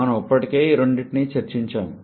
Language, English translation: Telugu, We have already discussed about both of them